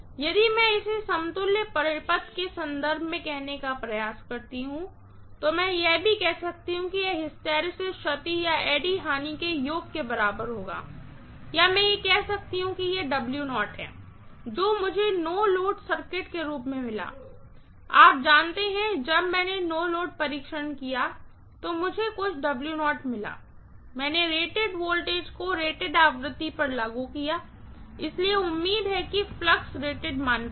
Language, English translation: Hindi, If I try to say it in terms of equivalent circuit, I can say that also that this will be equal to hysteresis loss plus eddy current loss or I can also say this is W0, what I got as a no load circuit, you know when I did no load test, I got some W0, I applied rated voltage at rated frequency, so hopefully the flux is at rated value